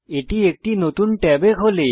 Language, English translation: Bengali, It opens in a new tab